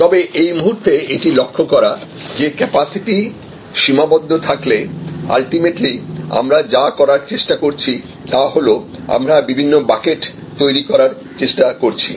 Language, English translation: Bengali, But, at this point it is important to note that we have to, ultimately what we are trying to do is if there is a finite capacity, we are trying to develop different buckets